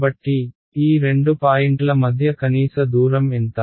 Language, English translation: Telugu, So, this the minimum distance between these two points is how much